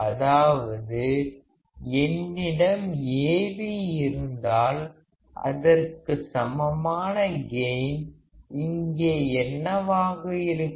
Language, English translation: Tamil, It means that if I have Av then what is the gain equal to here